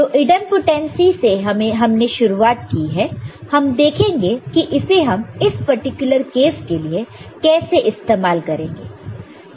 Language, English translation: Hindi, So, idempotency that we started with that we can have see, we can see how it can be used in this particular case, right